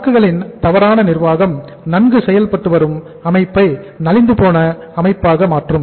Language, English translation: Tamil, The mismanagement of inventory can make a well functioning organization a sick organization